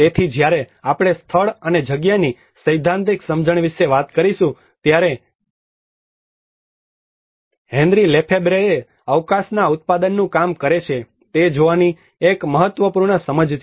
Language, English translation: Gujarati, So, when we talk about the theoretical understanding of the place and space, one of the important understanding one has to look at the Henry Lefebvre works the production of space